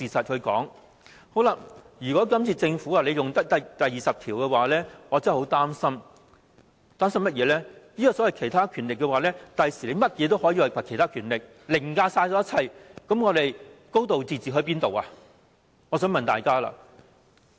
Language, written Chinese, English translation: Cantonese, 這次政府引用《基本法》第二十條，我真的很擔心，政府日後可以把甚麼事也說成是其他權力，凌駕一切，我想問大家，還會有"高度自治"嗎？, The invoking of Article 20 of the Basic Law really worries me a lot . I fear that the Government can then interpret the other powers as anything in the future making it override all other laws . I want to ask Members if Hong Kong can still enjoy a high degree of autonomy under this circumstance